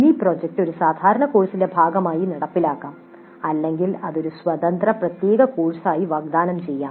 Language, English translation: Malayalam, The mini project may be implemented as a part of a regular course or it may be offered as an independent separate course by itself